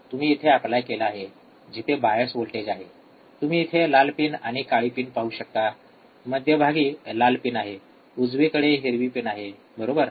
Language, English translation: Marathi, You have applied here where are the bias voltage bias voltage is here, you see the red pin and black pin in the center in the center red pin, right in green pin, right